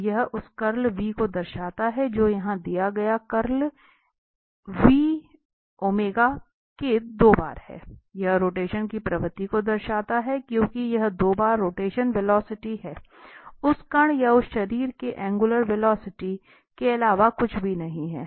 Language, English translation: Hindi, So, what its signifies the curl v which is given here, the curl v is two times omega, it signifies a tendency of rotation, because this is nothing but the two times the rotational velocity, the angular velocity of that particle or that body there